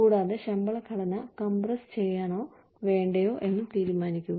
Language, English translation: Malayalam, And, then decide, whether one wants to compress the pay structure, or not